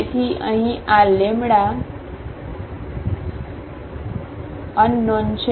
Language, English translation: Gujarati, So, here this lambda is unknown